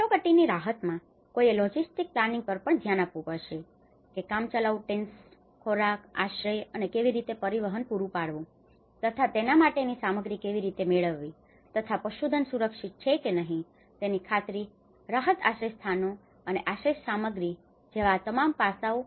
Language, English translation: Gujarati, In the emergency relief, one has to look at the logistic planning, how you can procure these materials, the temporary tents, the food, the shelter and how we can transport them, how we can make sure that the livestock is protected you know, so all these aspects, relief shelters and sheltering materials